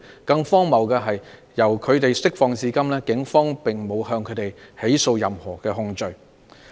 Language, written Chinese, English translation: Cantonese, 更荒謬的是，由他們獲釋放至今，警方並沒有以任何控罪起訴他們。, More ridiculously they have not been charged with any offence by the Police so far after they were released